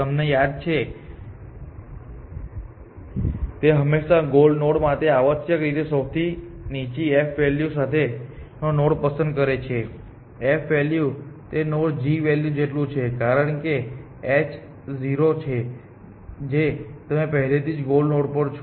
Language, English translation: Gujarati, You remember that it always picks the node with the lowest f value essentially for a goal node the f value is equal to the g value of that node, because h is 0 you already at the goal